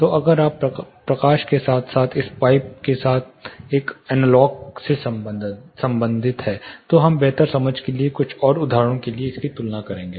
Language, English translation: Hindi, So, if you are relating an analogue with light as well as this pipe we will be comparing this for a few more instances for a better understanding